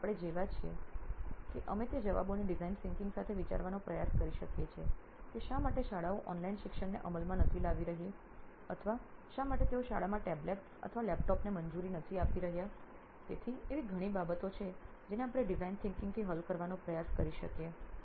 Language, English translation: Gujarati, So we are like we can try to get those answers with design thinking like why schools are not implementing online education or why they are not allowing tablets or laptops in the schools, so there are few things which we can try to solve with design thinking